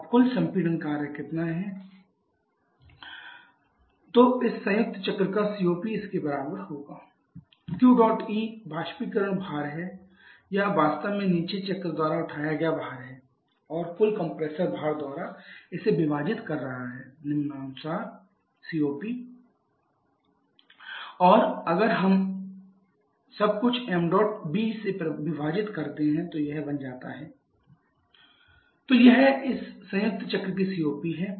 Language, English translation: Hindi, And similarly for the bottoming cycle m dot b the compression process corresponds to an enthalpy change of h 2 – h 1 so COP of this combined cycle will be equal to your Q dot E by W dot C, Q dot E is the evaporator load or if you actually load picked up by the bottoming cycle which is m dot B into h 1 – h 4 divided by m dot A into h 6 – h 5 + m dot B into h 2 – h 1 and if we divide everything by m dot B then this becomes h 1 h 4 divided by m dot a upon m dot B into h 6 h 5 + H 2 h 1 so that is the COP of this combined cycle